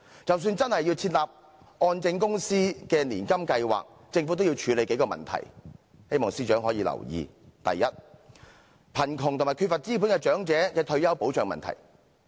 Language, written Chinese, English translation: Cantonese, 即使真的設立按證公司的年金計劃，政府也需要處理數項問題，希望司長可以留意：第一，貧窮及缺乏資本的長者的退休保障問題。, And even if the Hong Kong Mortgage Corporation Limiteds annuity scheme is to be launched I hope the Secretary will note that there are still several issues for the Government to tackle . First it is the retirement protection of the poor elderly who are deprived of capital